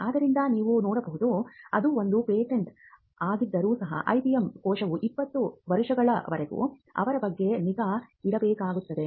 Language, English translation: Kannada, So, you can see that, even if it is one patent the IPM cell needs to keep track of it for 20 years and there are different deadlines that falls in between